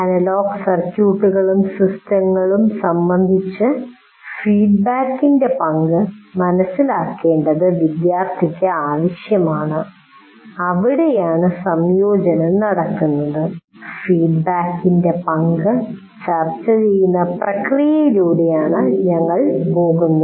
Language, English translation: Malayalam, So, understanding the role of feedback is absolutely necessary for the student with regard to analog circuits and systems and that is where the integration we go through the process of discussing the role of feedback